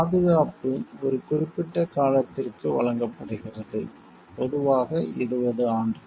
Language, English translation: Tamil, Protection is granted for a limited period, generally for 20 years